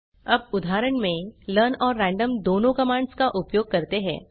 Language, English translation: Hindi, Let us now use both the learn and random commands in an example